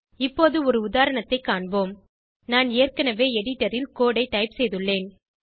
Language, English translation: Tamil, Now let us see an example I have already typed the code on the editor